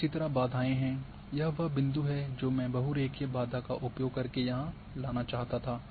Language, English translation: Hindi, And similarly the barriers this is the point which I wanted to bring here use the barrier polyline